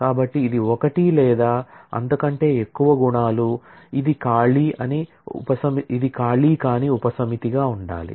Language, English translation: Telugu, So, it is one or more attributes, it has to be a non empty subset